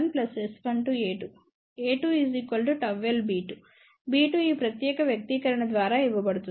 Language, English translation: Telugu, a 2 is gamma L b 2 and b 2 is given by this particular expression